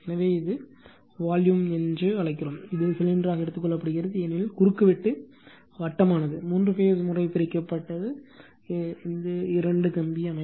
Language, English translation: Tamil, So, this is your what you call the volume, it is taking as cylinder right, because cross section is circular, divided by your material for the three phase case, it is a two wire system